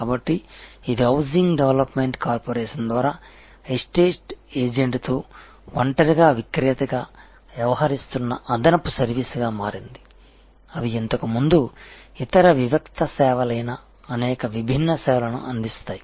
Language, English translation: Telugu, So, this becomes an additional service provided by a housing development corporation acting as a seller alone with estate agents, they provide these number of different services, which earlier where other discrete services